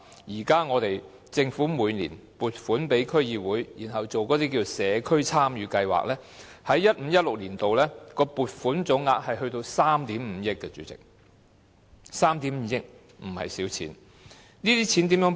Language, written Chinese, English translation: Cantonese, 主席，現時政府每年撥款予區議會進行社區參與計劃 ，2015-2016 年度的撥款總額高達3億 5,000 萬元，這不是小數目。, President at present the Government provides DCs with funds every year to carry out community involvement projects . In 2015 - 2016 the total allocation of funds reached 350 million which is not a small amount